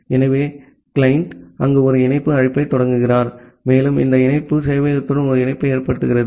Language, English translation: Tamil, So, the client initiate a connect call there and this connect makes a connection towards the server